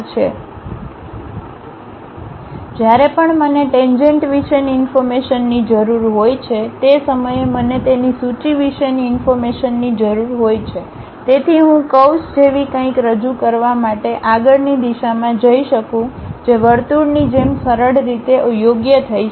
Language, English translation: Gujarati, So, all the time I need information about tangent, the point information the tangent information so that I can sweep in the next direction to represent something like a curve which can be fit in a smooth way as circle